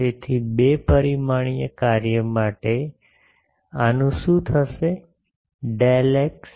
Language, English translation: Gujarati, So, for a two dimensional function what will happen to this, del x